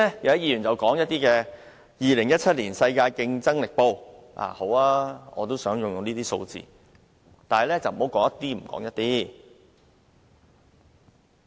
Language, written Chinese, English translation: Cantonese, 有議員剛才提到《2017年世界競爭力年報》的排名，但他們只說了一部分。, Some Members have mentioned the ranking of the International Institute for Management Development World Competitiveness Yearbook 2017 but they have only presented part of the picture